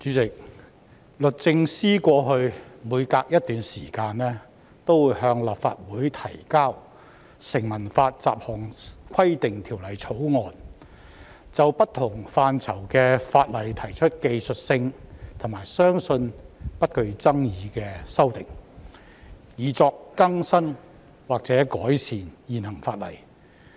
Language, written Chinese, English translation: Cantonese, 主席，律政司過去每隔一段時間便會向立法會提交《成文法條例草案》，就不同範疇的法例提出屬於技術性和相信不具爭議性的修訂，以更新或改善現行法例。, President it has been the practice of the Department of Justice to introduce at regular intervals to the Legislative Council a Statute Law Bill proposing amendments that are technical and believed to be non - controversial to various Ordinances for the purpose of updating or improving the existing legislation